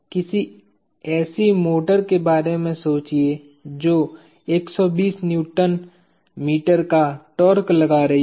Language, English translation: Hindi, Think of some motor that is applying a torque of 120 Nm